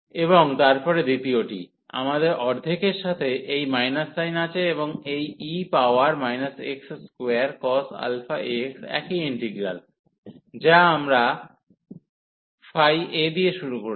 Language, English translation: Bengali, And then the second one, we have this minus sin with half and this e power minus x square cos alpha x the same integral, which we have started with phi a